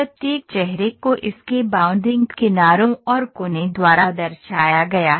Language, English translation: Hindi, Each face is represented by it is bounding address and vertices